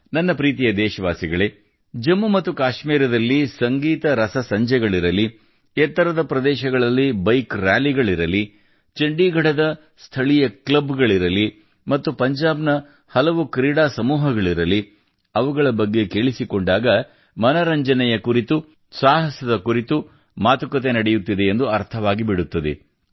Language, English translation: Kannada, My dear countrymen, whether be the Musical Nights in Jammu Kashmir, Bike Rallies at High Altitudes, local clubs in Chandigarh, and the many sports groups in Punjab,… it sounds like we are talking about entertainment and adventure